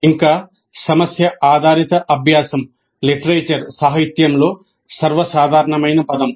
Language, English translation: Telugu, Further, problem based learning is the most common term in the literature